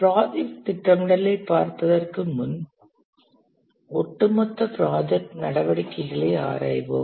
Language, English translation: Tamil, Before we look at project scheduling, let's examine the overall project steps